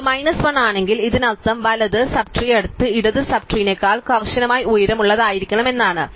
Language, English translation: Malayalam, So, if it is minus 1 this means that the right sub tree must be strictly taller than the next left sub tree